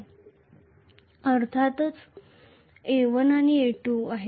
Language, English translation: Marathi, And this is, of course, A1 and A2